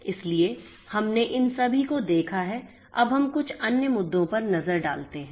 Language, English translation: Hindi, So, we have looked at all of these; now let us look at the few other issues